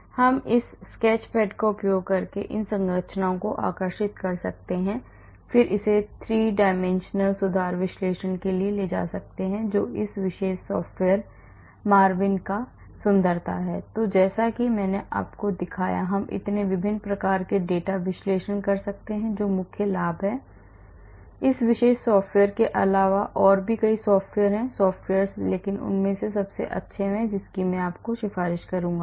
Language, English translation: Hindi, I can draw these structures I can draw the structures using this sketch pad and then take it for a 3 dimensional conformation analysis that is the beauty of this particular software MARVIN and as I showed you, we can do so many different types of data analysis that is the main advantage of this particular software and there are many other software, free softwares but this is one of the best ones I would recommend